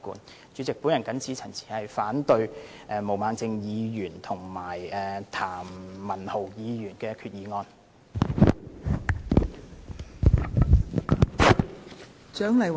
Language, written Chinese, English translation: Cantonese, 代理主席，我謹此陳辭，反對毛孟靜議員和譚文豪議員的決議案。, With these remarks Deputy President I oppose Ms Claudia MOs and Mr Jeremy TAMs resolutions